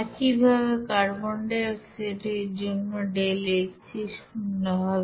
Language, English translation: Bengali, Similarly deltaHc for you know carbon dioxide it will be 0